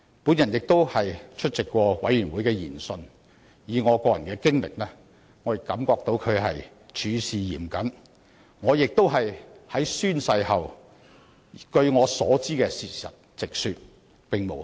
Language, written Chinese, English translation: Cantonese, 我曾出席調查委員會的研訊，根據我個人經驗，調查委員會處事是嚴謹的，我在宣誓後也直說我所知的事情，並無虛言。, According to my personal experience IC had adopted a stringent attitude in discharging its duties . After taking the oath I had also recounted all that I knew . What I said was nothing but the truth